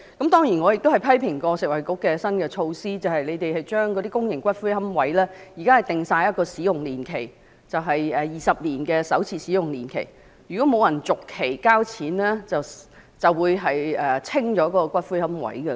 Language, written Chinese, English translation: Cantonese, 當然我亦批評過食衞局的新措施，將公營骨灰龕位設定了使用年期——現時是20年的首次使用年期，如果不續期交錢便會把骨灰龕位清理。, Of course I have also criticized Food and Health Bureaus new measures of setting a time limit to the use of a public niche―an initial interment period of 20 years . If the niche is not extended on payment of a sum the ashes would be removed from the niche